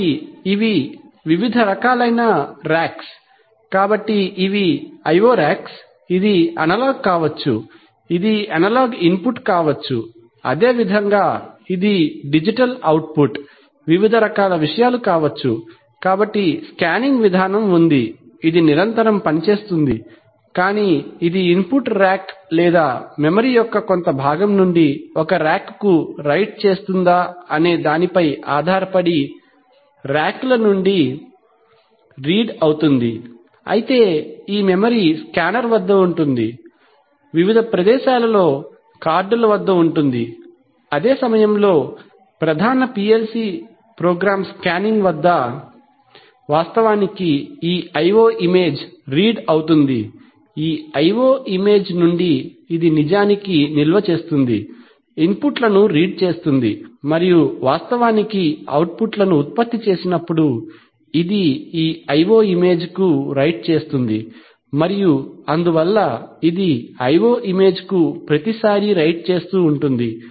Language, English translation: Telugu, Now, so, having understood this, so what is happening is that, so you see these are the various racks, these are the various racks, so these are the IO racks, this could be an analog in, this could be an, this could be an analog input, similarly this could be a digital output, various kinds of things, so there is a scanning mechanism which goes on, which continuously updates either, reads from the racks depending if it is an input rack or writes to a rack from a part of the memory, this memory can be at the scanner, can be at the cards at the various places, while the one the main PLC program scanning actually reads these IO images, from this IO image, it actually stores, reads the inputs and whenever it actually produces outputs, it also writes to this IO image and so, it keeps writing to this IO image and then finally they get transferred to the racks, so this is how the basic activities go on in a PLC, so now we have to see that what is the result of these activities, this kind of scan, scanning, what kind of response, what kind of impact it has on the various input and output updating, typically we are interested to know how much of delay we can expect in responding to an input change